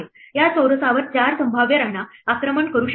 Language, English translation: Marathi, There are 4 possible queens that could be attacking this square